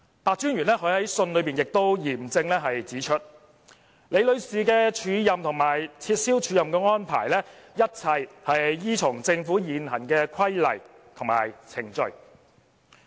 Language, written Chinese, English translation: Cantonese, 白專員在信中亦嚴正指出，李女士的署任和撤銷署任的安排，一切均依從政府現行規例和程序。, Commissioner PEH also stated solemnly in the letter that the arrangements for offering and cancelling Ms LIs acting appointment were all made in accordance with prevailing regulations and procedures in the Government